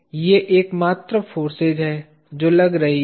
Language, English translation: Hindi, These are the only forces that are acting